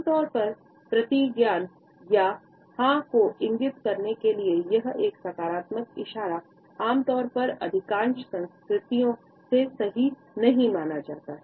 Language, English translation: Hindi, Normally, a positive gesture to signify an affirmation or yes and a shake of a hand is normally considered to be a no in most cultures right